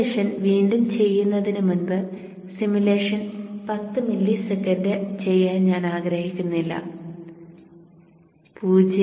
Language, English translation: Malayalam, So now before redo the simulation I don't want to do the, I don't want to do the simulation for 10 milliseconds